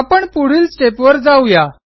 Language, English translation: Marathi, So let us go to the next step